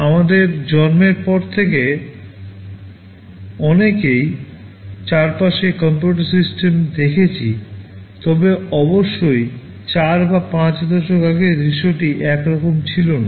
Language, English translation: Bengali, Since our birth many of you have seen computer systems around you, but of course, the scenario was not the same maybe 4 or 5 decades back